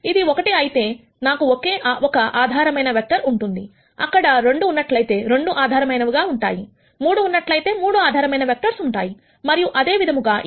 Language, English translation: Telugu, If it is 1 then I have only 1 basis vector, if there are 2 there are 2 basis vectors 3 there are 3 basis vectors and so on